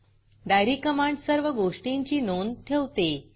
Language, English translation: Marathi, Diary command helps to keep track of all the transactions